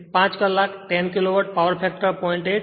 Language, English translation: Gujarati, So, 5 hour, 10 Kilowatt, power factor is 0